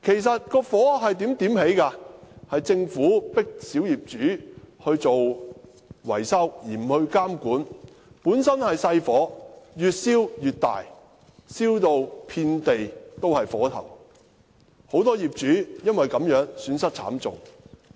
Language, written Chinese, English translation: Cantonese, 是政府迫令小業主進行維修，卻不加以監管所致，本來只是小火，卻越燒越大，燒至遍地火頭，很多業主因而損失慘重。, The Government in the sense that it forced small property owners to undertake maintenance works without imposing any regulation . Initially it was just a small fire . But as it rages on we can now see fires everywhere